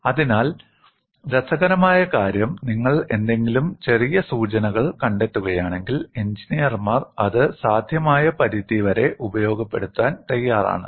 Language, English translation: Malayalam, So, what is interesting is, if you find any small clue, engineers are ready to exploit it to the extent possible